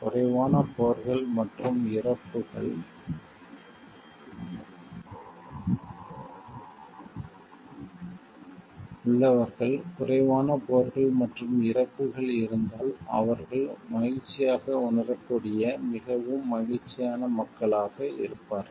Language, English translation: Tamil, Then people with fewer wars and deaths, will be the most happy people they will feel happier, if there are fewer wars and death